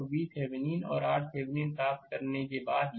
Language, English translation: Hindi, So, after getting V Thevenin and R Thevenin, let me clear it